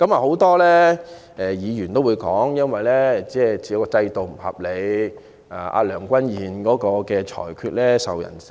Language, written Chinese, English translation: Cantonese, 很多議員也說制度不合理，而梁君彥主席的裁決亦備受非議。, A number of Members have opined that the system is unfair and the rulings made by President Andrew LEUNG are also much condemned